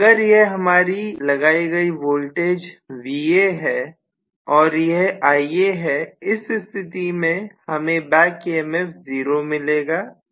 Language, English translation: Hindi, So if this is being applied as the Va and if you say this is Ia, I am going to have actually the back EMF as 0 during starting